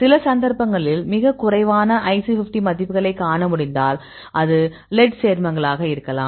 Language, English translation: Tamil, So, the some of the cases you could see very a less IC50 values; in this case it could be a lead compounds